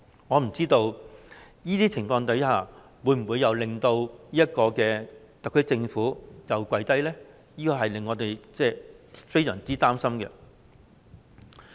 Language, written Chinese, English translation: Cantonese, 我不知道這些情況會否令特區政府再次跪低。這令我們感到非常擔心。, I wonder if these circumstances will make the SAR Government surrender again and it is very worrying to us indeed